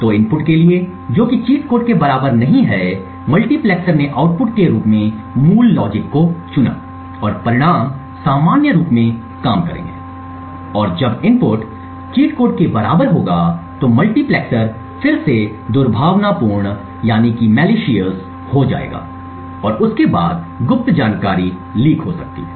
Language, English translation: Hindi, So for inputs which are not equal to that of the cheat code the multiplexer would chose the original logic as the output and the results would work as normal and when the input is equal to that of the cheat code the multiplexer would then switch to the malicious logic and then the secret information get can get leaked out